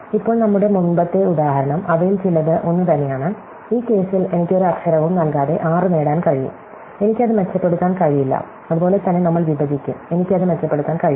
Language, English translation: Malayalam, So, now, our earlier example, some of them are the same, like in this case without dropping any letter I can could get 6, I cannot improve it, same we will bisect, I cannot improve it